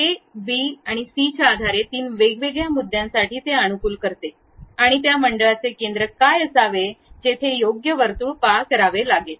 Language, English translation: Marathi, Based on that a, b, c for three different points, it optimizes and provides what should be the center of that circle where exactly circle has to pass